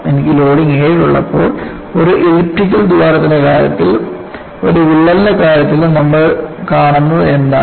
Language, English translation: Malayalam, And when I have the loading is 7 for the case of an elliptical hole and what you see in the case of a crack